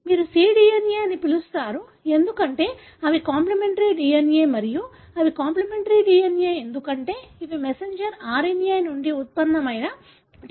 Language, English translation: Telugu, You call it as cDNA, because they are complimentary DNA and they are complimentary DNA, because these are DNA derived from messenger RNA